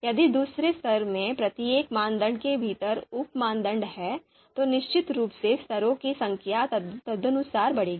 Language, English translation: Hindi, If there are sub criteria sub criteria within each criteria in the second level, then of course number of levels will increase accordingly